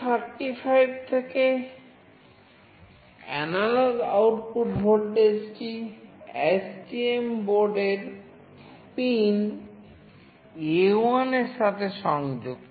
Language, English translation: Bengali, The analog output voltage from LM35 is connected to pin A1 of the STM board